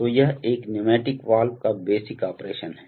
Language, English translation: Hindi, So, this is the operation basic operation of a pneumatic valve